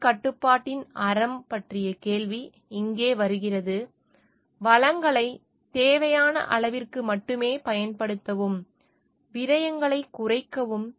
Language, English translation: Tamil, Here comes the question of virtue of self restriction, to take use the resources to the extent only to what it is required, reduce the wastages